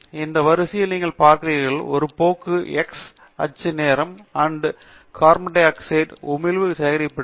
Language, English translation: Tamil, And you can see in this series there is a trend, the x axis is time the year in which it was the carbon dioxide emission was collected